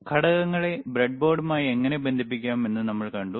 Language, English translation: Malayalam, Then we have seen the how to connect the components to the breadboard